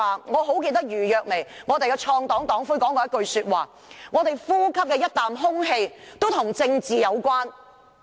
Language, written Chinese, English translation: Cantonese, 我記得公民黨創黨黨魁余若薇說過：我們呼吸的每一口空氣都與政治有關。, I recall that Ms Audrey EU the founding leader of the Civic Party once said Politics is in every breath we take